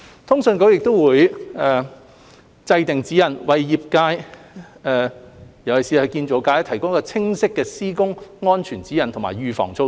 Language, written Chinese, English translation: Cantonese, 通訊局亦會制訂指引，為業界，尤其是建造業，提供清晰的施工安全指引和預防措施。, CA will draw up guidelines to provide the sector the construction sector in particular with clear work safety guidelines and preventive measures